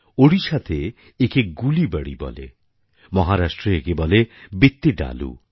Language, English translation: Bengali, In Odisha it's called Gulibadi and in Maharashtra, Vittidaaloo